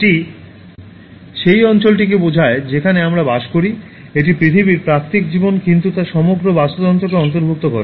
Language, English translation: Bengali, It refers to the area, the place in which we live, it includes the natural life on earth and the global ecosystem